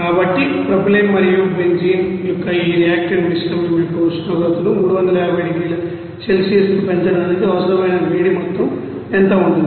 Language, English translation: Telugu, So, for that what would be the amount of heat required for raising this temperature of this reactant mixture of propylene and benzene to 350 degree Celsius